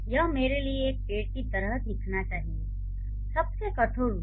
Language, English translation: Hindi, So, this should look like a tree to me the most rudimentary form